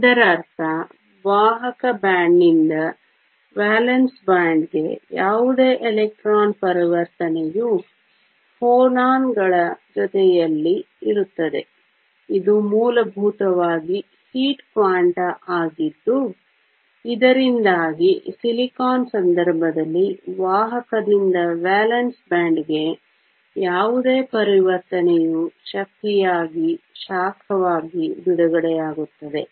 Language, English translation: Kannada, This means that any electron transition from the conduction band to the valence band is accompanied by phonons which are essentially heat quanta, so that any transition in the case of silicon from the conduction to the valence band, the energy is released as heat